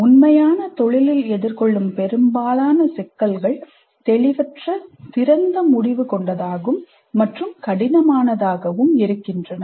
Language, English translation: Tamil, Most of the problems faced in the actual profession are fuzzy, open ended and complex